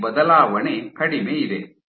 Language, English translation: Kannada, So, this change is minimal